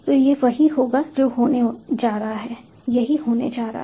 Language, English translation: Hindi, so this is what is going to happen